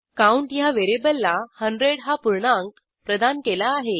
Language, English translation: Marathi, An integer 100 is assigned to a variable count